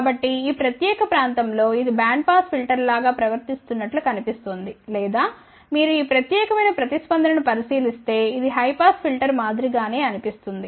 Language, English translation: Telugu, So, it almost looks like that in this particular area it is behaving more like a band pass filter or if you just look at this particular response then it looks like this is something similar to a high pass filter